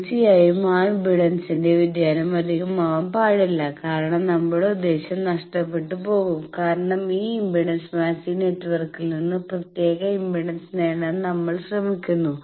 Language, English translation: Malayalam, Now, obviously that variation of impedance that should not be much because then the purpose will be lost, because we are trying to get particular impedance from this impedance matching network